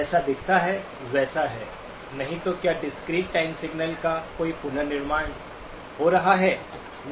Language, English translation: Hindi, It does not look like it is; so is there any reconstruction happening of the discrete time signal